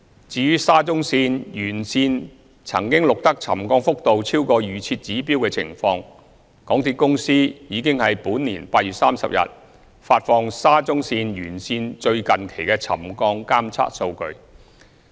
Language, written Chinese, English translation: Cantonese, 至於沙中線沿線曾錄得沉降幅度超過預設指標的情況，港鐵公司已於本年8月30日發放沙中線沿線最近期的沉降監測數據。, As regards the settlement readings recorded along SCL which had once exceeded the pre - set trigger level MTRCL published on 30 August this year the latest settlement monitoring data along SCL